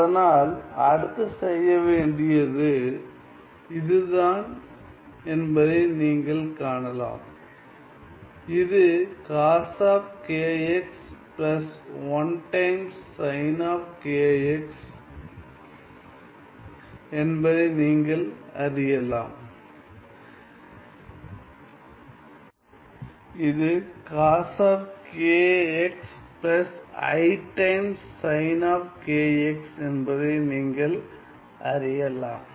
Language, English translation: Tamil, So, then you can see that this is well what next to be done is the fact that, well we see that this is also cos of k x plus i times sin of k x right